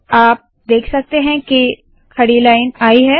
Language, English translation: Hindi, You see that a vertical line has come